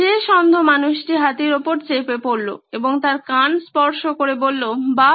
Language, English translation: Bengali, The last one went on top of the elephant and said, and touched its ears and said, Wow